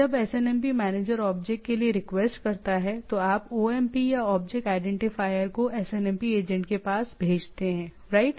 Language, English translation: Hindi, When SNMP manager requests for the object you send the OID or object identifier to the SNMP agent, right